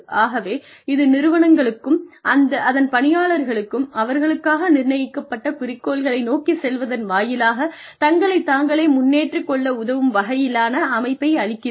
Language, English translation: Tamil, So, it provides the system, that is put in place, helps organizations and employees, sort of improve themselves, by going back to the objectives, that have been set for them